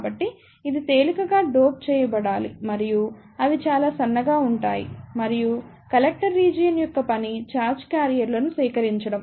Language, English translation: Telugu, So, this should be lightly doped and they are relative very thin and the function of the Collector region is to collect the charge carriers